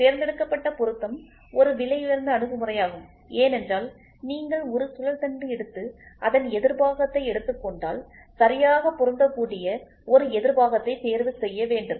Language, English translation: Tamil, Selective assembly is a costly approach why because you take a shaft and you take a counter of it then you try to choose a counter which exactly matches